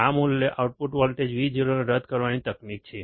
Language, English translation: Gujarati, This is the technique to null the output voltage Vo